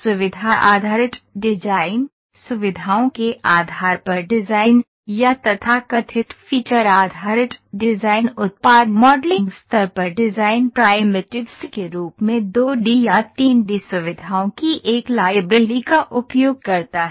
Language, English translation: Hindi, The feature based model, design by feature or so called feature based design used a 2D or 3D feature as design primitives on the product model